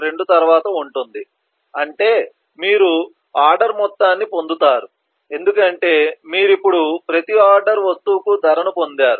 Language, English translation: Telugu, 2 that is you get the total of the order because you have now got the price for each and every order item so your 1